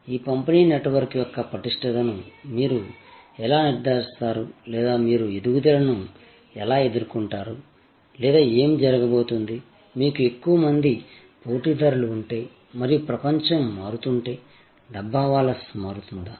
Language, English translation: Telugu, That how do you ensure the robustness of this distribution network or how do you deal with growth or what is going to happen, if you have more competitors and the world is changing, will the Dabbawalas change